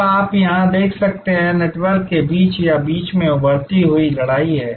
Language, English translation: Hindi, So, you can see here, there is a kind of a emerging battle between or among networks